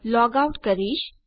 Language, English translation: Gujarati, I can log out